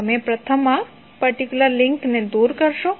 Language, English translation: Gujarati, You will first remove this particular link